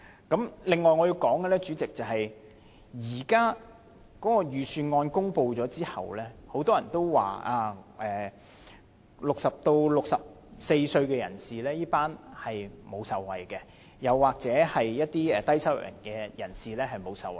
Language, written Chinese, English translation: Cantonese, 主席，另外我想說的是，預算案公布後，很多人都表示 ，60 歲至64歲這群人士沒有受惠，又或者一些低收入人士沒有受惠。, Chairman separately I wish to point out that since the presentation of the Budget many people have stated that people in the age group of 60 to 64 do not benefit from it nor do the low - income earners